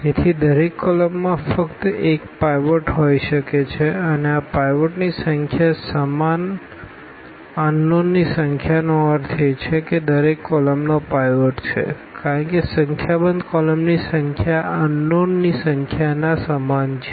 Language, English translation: Gujarati, So, the each column can have only one pivot and this number of pivot equal number unknowns meaning that each column has a pivot because a number of columns equal to the number of unknowns